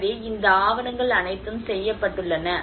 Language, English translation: Tamil, \ \ So, all these documentations have been done